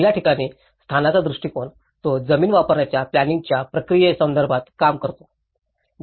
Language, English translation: Marathi, In the first one, the location approach, it deals with the process of land use planning